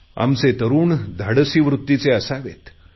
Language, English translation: Marathi, Our youth should be bold